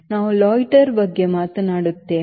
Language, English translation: Kannada, loiter we will talk about later